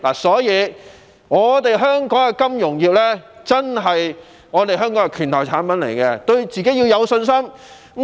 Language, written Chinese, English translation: Cantonese, 所以，金融業可說是香港的"拳頭"產品，我們要對自己有信心。, So it can be said that the financial sector is the leading industry in Hong Kong and we must have confidence in ourselves